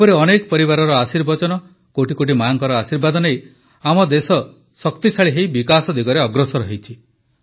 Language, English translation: Odia, With the blessing of such families, the blessings of crores of mothers, our country is moving towards development with strength